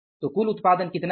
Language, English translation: Hindi, So, what is the total output